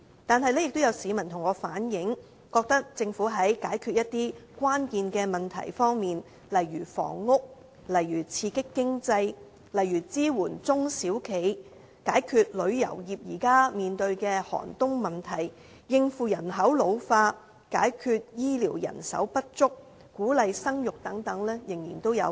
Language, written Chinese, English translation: Cantonese, 但是，也有市民向我反映，覺得政府在解決一些關鍵問題方面仍有不足之處，例如房屋、刺激經濟、支援中小企業、解決旅遊業現時面對的寒冬問題、應付人口老化、解決醫療人手不足及鼓勵生育等。, However certain people relayed to me that there are still rooms for improvement in tackling some critical issues such as housing boosting the economy supporting small and medium enterprises resolving the plight of the tourist trade responding to population ageing handling the shortage in health care manpower and encouraging childbearing and so on